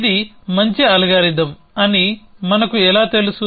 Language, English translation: Telugu, So, how do we know it was a good algorithm